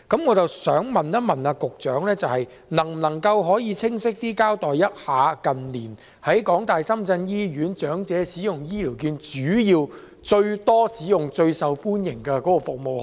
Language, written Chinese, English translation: Cantonese, 我想問，局長能否更清晰地告訴我們，近年長者在港大深圳醫院使用醫療券時，最多使用及最受歡迎的是哪些服務？, May I ask whether the Secretary can tell us more clearly which services were used most often and most popular in recent years when the elderly used HCVs in HKU - SZH?